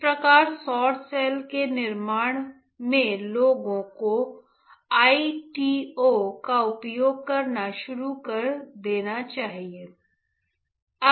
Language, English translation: Hindi, Thus in the fabrication of solar cell people have started using ITO for contact